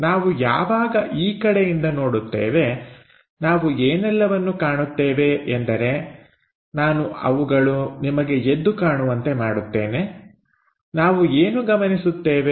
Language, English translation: Kannada, When we are observing from this direction, the things what we will observe is; so, I will highlight the things, what we will observe